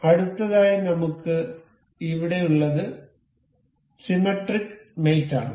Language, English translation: Malayalam, So, for the next one that we have here is symmetric mate